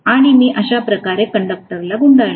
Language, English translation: Marathi, And I am going to probably wind the conductor like this